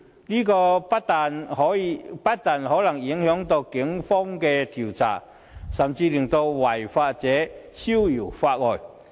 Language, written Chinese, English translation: Cantonese, 這不但可能影響警方的調查，甚至會令違法者逍遙法外。, This may affect the police investigation and the lawbreakers can escape the long arms of justice as a result